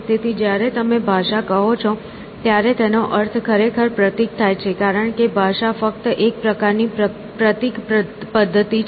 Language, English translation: Gujarati, So, when you say language, we really mean symbol because language is just one kind of a symbol system essentially